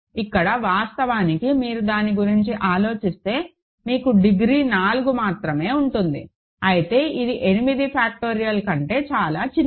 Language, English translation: Telugu, Here, actually if you think about it, you will only have degree 4, whereas this is much smaller than 8 factorial right